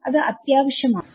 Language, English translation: Malayalam, is that necessary